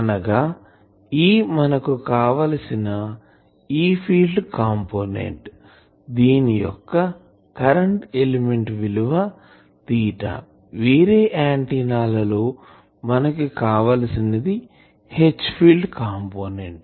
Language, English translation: Telugu, Now, here this E means that desired E field component; again for current element this will be theta, for other antennas we will have to see by desired H field component